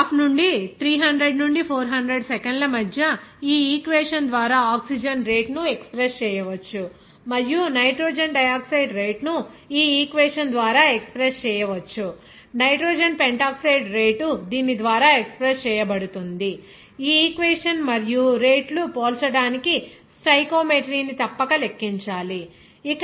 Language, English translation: Telugu, So, from the graph, we can say that between the time 300 to 400 second, the rate of oxygen can be expressed by this equation and rate of nitrogen dioxide can be expressed by this equation, the rate of nitrogen pentoxide can be expressed by this equation, and to compare the rates, one must account for the stoichiometry